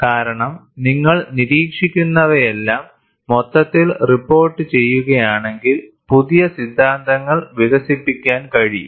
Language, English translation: Malayalam, Because, if you report what you observe, in all its totality, new theories can develop